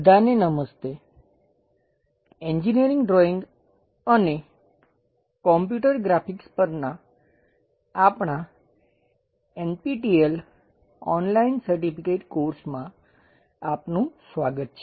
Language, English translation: Gujarati, Welcome to our Engineering Drawing and Computer Graphics, NPTEL Online Certification Courses